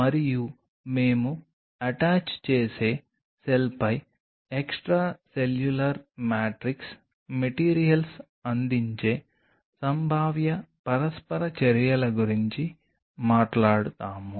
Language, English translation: Telugu, And we will talk about the possible interactions what is extracellular matrix materials are conferring on the attaching cell